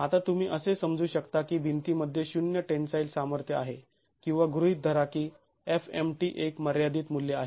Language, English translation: Marathi, Now you could assume that the wall has zero tensile strength or assume that FMT is a finite value